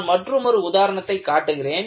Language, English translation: Tamil, I will show one more example